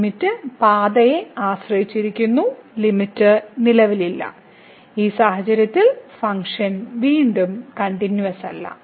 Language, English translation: Malayalam, So, limit depends on path and hence the limit does not exist and the function is not continuous again in this case